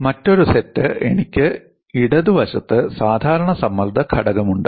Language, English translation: Malayalam, And the other set is I have on the left hand side normal strain component